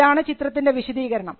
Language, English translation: Malayalam, This is the detailed description